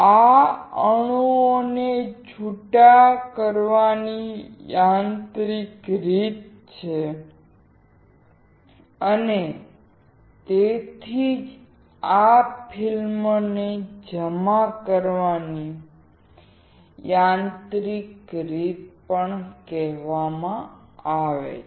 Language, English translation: Gujarati, This is the mechanical way of dislodging the atoms and that is why, these are also called a mechanical way of depositing the film